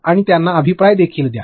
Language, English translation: Marathi, And also give them feedback